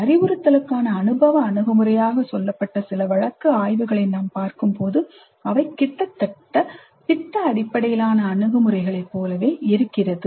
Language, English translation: Tamil, When you see some of the case studies reported as experiential approach to instruction, they almost look like product based approaches